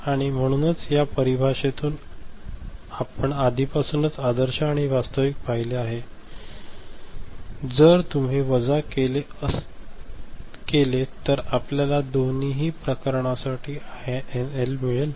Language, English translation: Marathi, And so from this definition, we have already seen the ideal and actual, if you subtract, you get the INL for both the cases ok